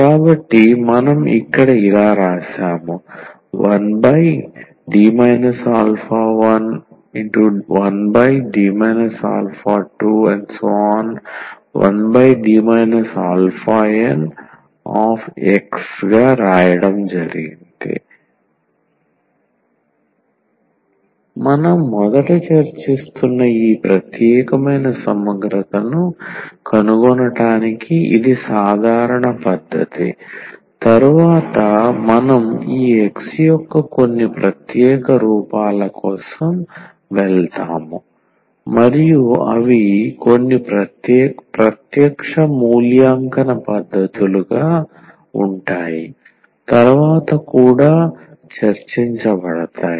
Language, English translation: Telugu, So, this is the way general method for finding this particular integral which we are discussing at first later on we will go for some special forms of this X and they will be some direct evaluation techniques which will be also discuss later